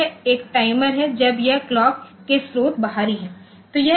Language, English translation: Hindi, So, it is a timer when it to the clock source is external